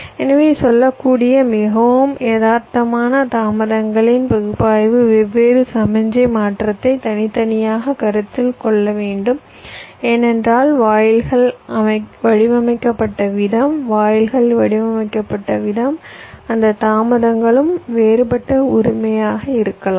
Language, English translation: Tamil, so a more realistic ah, you can say, means analysis of the delays should consider the different signal transition separately, because the way gates are designed, gates are modeled, those delays can also be different, right